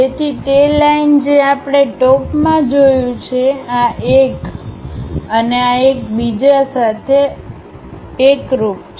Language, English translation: Gujarati, So, those lines what we have seen top, this one and this one coincides with each other